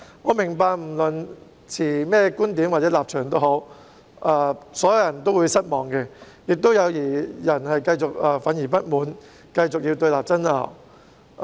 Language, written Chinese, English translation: Cantonese, 我明白不論是持甚麼觀點或立場的人都會感到失望，亦有些人仍然憤慨不滿，要繼續對立爭拗。, I understand that everyone would be disappointed regardless of what viewpoint or stance they hold . Some people remain furious and dissatisfied and they will continue to engage in confrontation and argument